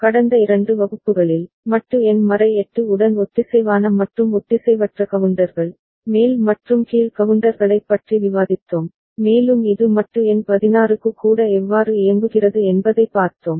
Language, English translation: Tamil, In the last two classes, we have discussed synchronous and asynchronous counters, up and down counters with modulo number 8 and we had seen how it works even for modulo number 16 right